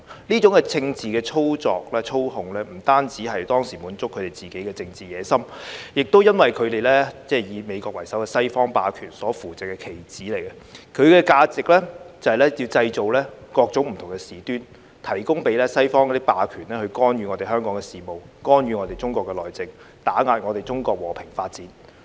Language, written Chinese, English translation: Cantonese, 這種政治操作、操控，不單是當時滿足他們自己的政治野心，亦因為他們是以美國為首的西方霸權所扶植的棋子，其價值就是要製造各種不同的事端，提供機會給西方霸權去干預我們香港的事務、干預我們中國的內政、打壓我們中國和平發展。, This kind of political manipulation and control was to satisfy their own political ambitions at that time . Moreover since they are the pawns supported by the Western hegemony led by the United States their value is to create different kinds of incidents and provide opportunities for the Western hegemony to interfere in the affairs of Hong Kong interfere in the internal affairs of China and suppress the peaceful development of China